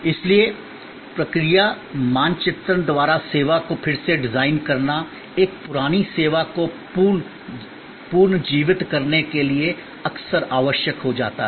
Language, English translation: Hindi, So, service redesign by process mapping often becomes necessary to revitalize an outdated service